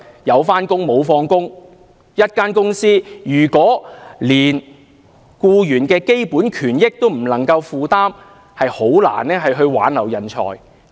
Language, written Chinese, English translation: Cantonese, 一間公司如果連僱員的基本權益都不能夠負擔，便難以挽留人才。, A company which ignores employees basic rights and interests can hardly retain talent